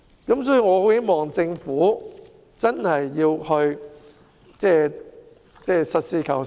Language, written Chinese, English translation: Cantonese, 因此，我很希望政府實事求是。, Hence I very much hope that the Government will be practical and realistic